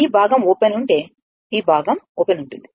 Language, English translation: Telugu, If their this part is open, this part is open